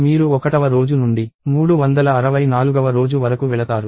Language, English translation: Telugu, So, you go from day 1 to day 364